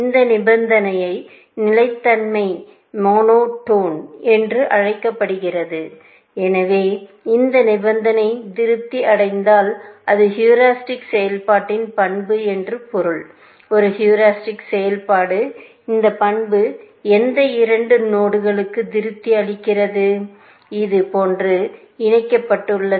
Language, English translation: Tamil, This condition is called monotone of consistency condition, and what we want to show is that if this condition is satisfied, which means that it is the property of the heuristic function; a heuristic function is such, that this property is satisfied for any two nodes, which connected like this